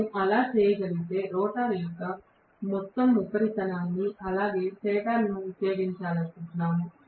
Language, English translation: Telugu, If we are able to do that then we are essentially utilizing the entire surface of the rotor as well as the stator